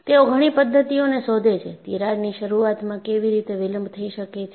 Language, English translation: Gujarati, They find out methodologies, how the crack initiation can be delayed